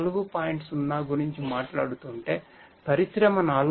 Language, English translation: Telugu, So, if we are talking about Industry 4